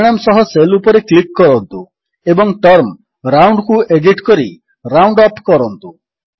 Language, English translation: Odia, Lets click on the cell with the result and edit the term ROUND to ROUNDUP